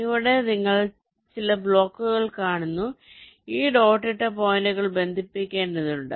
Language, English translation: Malayalam, so so here you see some blocks and this dotted lines show you ah, the nets, the points which need to be connected